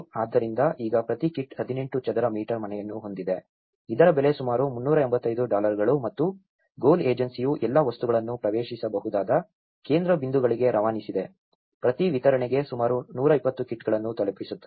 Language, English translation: Kannada, So, now each kit has 18 square meter house, which is costing about 385 dollars and what they did was the GOAL agency have trucked all the materials to accessible central points, delivering about 120 kits per distribution